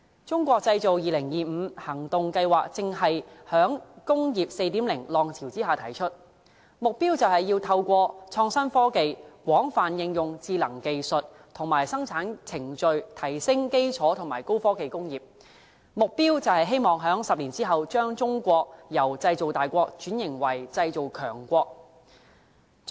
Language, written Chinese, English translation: Cantonese, 《中國製造2025》行動計劃正是在"工業 4.0" 浪潮之下提出，目標是透過創新科技、廣泛應用智能技術和生產程序、提升基礎和高科技工業，希望在10年之後，把中國由"製造大國"轉型為"製造強國"。, The Made in China 2025 action plan has been proposed against the background of Industry 4.0 . It seeks to turn China from a big nation of manufacturing to a powerful nation of manufacturing in 10 years through innovation and technology; wide application of intelligent technology and production processes; and upgrading of basic and high - tech industries